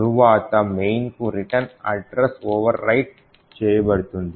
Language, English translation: Telugu, next the return address to main would also get overwritten